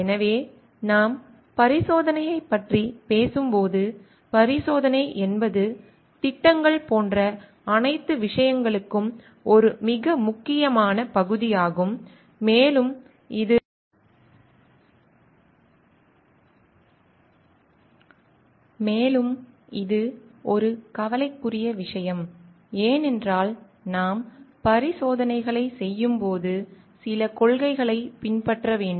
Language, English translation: Tamil, So, what we see is like when we talk of experimentation, experimentation is a very important part for all things like projects which are and it is a matter of concern in the sense because we need to follow certain principles while we are doing experimentations